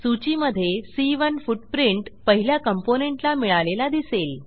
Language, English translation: Marathi, As you can see, C1 footprint gets assigned to the first component in the list